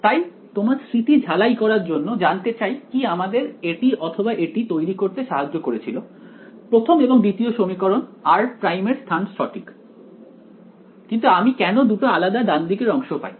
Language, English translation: Bengali, So, what just to refresh your memory what changed to produce either this or this the first or the second equation position of r dash yeah, but why do I get two different right hand sides